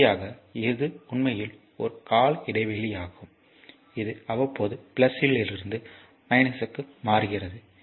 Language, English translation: Tamil, Final this is actually a periodic this is periodically changing from plus to minus